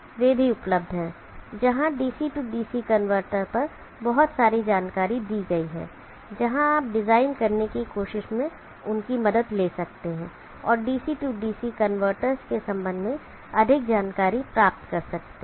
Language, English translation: Hindi, They are also available where lot of information on DC DC converter is given where you can refer to that and try to design and get more insight with respect to the DC DC converters